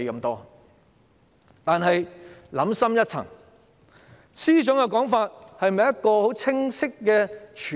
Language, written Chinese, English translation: Cantonese, 但是，想深一層，司長的說法是否清晰和全面？, However let us think deeper . Is what the Financial Secretary said clear and comprehensive?